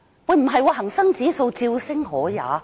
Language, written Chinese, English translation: Cantonese, 但恒生指數竟然照升可也。, And yet the Hang Seng Index HSI was not affected and rose instead